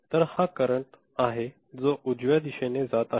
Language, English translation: Marathi, So, this is the current that is going in this direction right